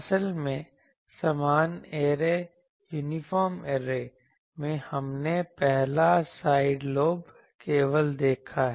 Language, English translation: Hindi, Actually, in an uniform array, we have seen the 1st side lobe level